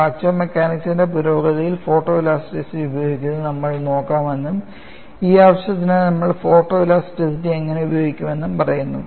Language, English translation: Malayalam, We have seen the stress field, and I have been saying that we would look at use of photo elasticity in the advancement of fracture mechanics, and how we would use photo elasticity for this purpose